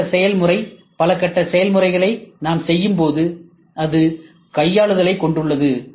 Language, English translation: Tamil, When we do a multi stage process multi stage process, it has handling